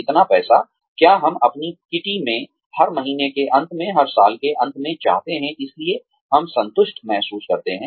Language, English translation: Hindi, How much money, do we want to have in our kitty, at the end of every month, at the end of every year, so we feel satisfied